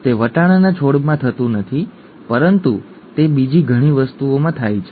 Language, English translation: Gujarati, It does not happen in the pea plant but it happens in many other things